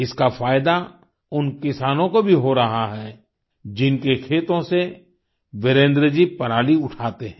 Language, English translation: Hindi, The benefit of thisalso accrues to the farmers of those fields from where Virendra ji sources his stubble